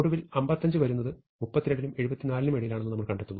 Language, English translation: Malayalam, So, 55 comes between 32 and 74